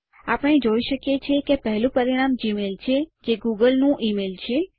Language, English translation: Gujarati, We see that the top result is for gmail, the email from google